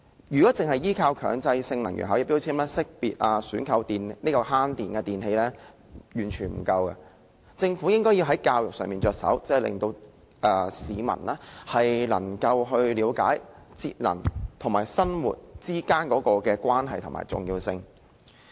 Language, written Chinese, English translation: Cantonese, 如果單靠能源標籤來識別及選購節省用電的電器，是完全不足夠的，政府應從教育着手，令市民了解節能與生活之間的關係和重要性。, It is entirely inadequate to rely only on energy labels to identify and buy energy - saving electrical appliances . The Government should also educate the people and make them understand the relationship between energy saving and their lives and the importance of energy saving